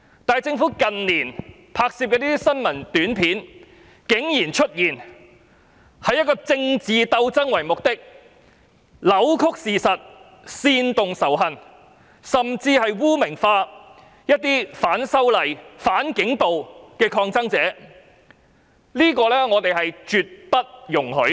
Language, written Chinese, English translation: Cantonese, 但是，政府近年拍攝的新聞短片竟然以政治鬥爭為目的，扭曲事實、煽動仇恨，甚至將一些反修例、反警暴的抗爭者污名化，我認為這是絕對不能夠容許的。, However the APIs produced by the Government in recent years focus on political struggles; they have distorted the facts incited hatred and even stigmatized protesters who participated in the movement of opposition to the proposed legislative amendments and in the protests against police brutality . I find this absolutely unacceptable